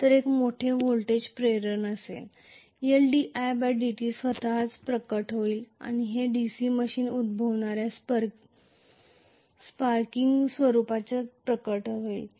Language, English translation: Marathi, There will be a larger voltage induction, L di by dt will manifest by itself and that is essentially manifested in the form of sparking that occurs in the DC machine, Right